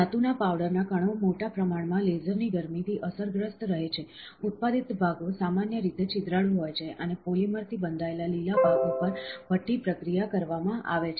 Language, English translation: Gujarati, The metallic powder particles remain largely unaffected by the heat of the laser, the parts produced are generally porous, and the polymer bounded green parts are subsequently furnace processed